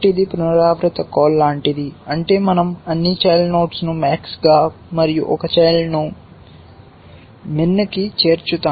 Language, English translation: Telugu, So, it is like a recursive call which means we add all children for max and one child for min